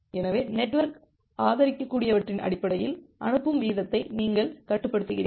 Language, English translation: Tamil, So, you regulate the sending rate based on based on what the network can support